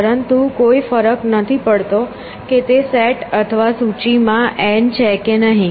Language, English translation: Gujarati, But and it does not matter whether n exists in that set or list or not